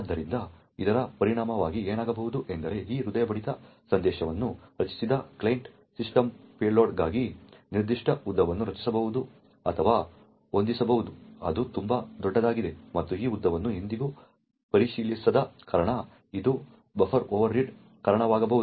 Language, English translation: Kannada, So, as a result of this what could happen was that the client system which created this heartbeat message could create or set a particular length for the payload which is very large and since this length was never checked it could result to the buffer overread